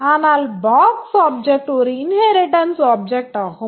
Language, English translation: Tamil, But the box subject is a inherited object